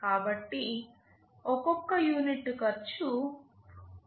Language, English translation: Telugu, So, per unit cost will be Rs